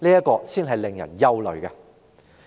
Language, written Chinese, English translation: Cantonese, 這才是令人感到憂慮的。, It is the very thing that is worrisome